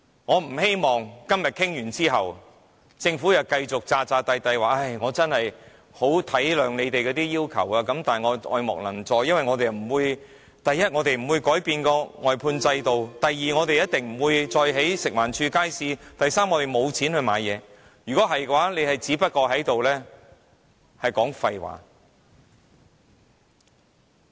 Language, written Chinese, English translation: Cantonese, 我不希望當今天的討論完結後，政府又繼續扮作很體諒我們的要求，但卻愛莫能助，因為第一，他們不會改變外判制度；第二，他們一定不會再興建由食環署管理的街市，以及第三，他們沒有資金回購項目。, After the conclusion of the debate today I hope the Government can stop pretending that it is willing to help but unable to do so though it understands our requests very well for the following reasons Firstly it will not change the outsourcing system; secondly it will never build any more markets for management by FEHD and thirdly it has no capital to buy back the items